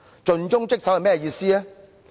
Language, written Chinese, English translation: Cantonese, 盡忠職守是甚麼意思？, What is meant by acting conscientiously and dutifully?